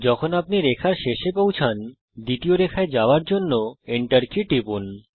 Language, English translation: Bengali, When you reach the end of the line, press the Enter key, to move to the second line